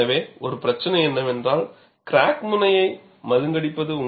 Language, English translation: Tamil, So, one of the problem is, blunting of the crack tip